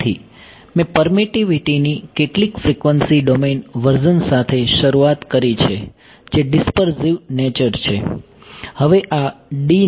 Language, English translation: Gujarati, So, I started with some frequency domain version of the permittivity which is the dispersive nature